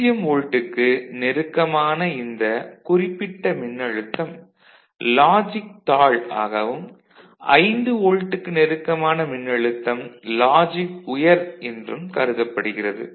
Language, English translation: Tamil, So, this particular voltage which is close to 0 volt, we shall treat it as logic low and voltages which is close to 5 volt little bit, treated as logic high